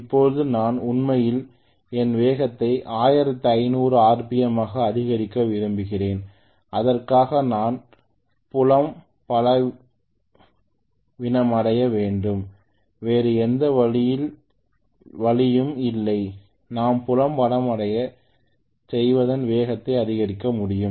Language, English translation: Tamil, Now I want to increase actually my speed to 1500 RPM for which I have to do field weakening there is no other way if I do the field weakening I should be able to increase the speed